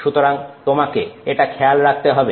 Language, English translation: Bengali, So, you have to be conscious of it